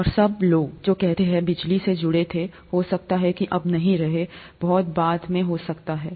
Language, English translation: Hindi, And all the, all that the people could say who were involved with electricity is yes, may not be now, may be much later